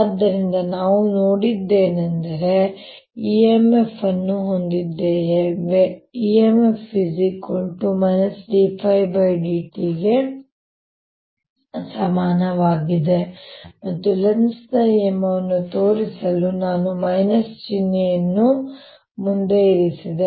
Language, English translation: Kannada, so what we have seen is that we have e m f, which is equal to d phi, d t, and to show the lenz's law, i put a minus sign in front